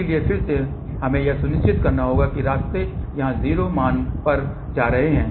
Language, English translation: Hindi, So, again what we have to ensure that the paths are leading to the 0 value here